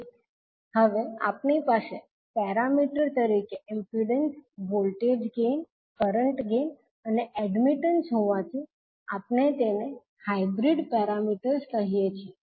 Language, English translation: Gujarati, So now, since we have impedance, voltage gain, current gain and admittance as a parameter